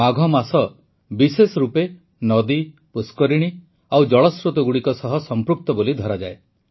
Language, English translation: Odia, The month of Magh is regarded related especially to rivers, lakes and water sources